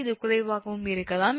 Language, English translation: Tamil, that will be better, it will be hardly